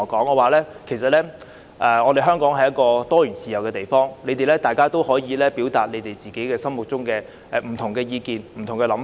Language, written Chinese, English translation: Cantonese, 我告訴他們香港是一個自由多元的地方，他們可以表達自己心中的不同意見和想法。, I told them that Hong Kong is a free and diversified place where they can express views and thoughts of their own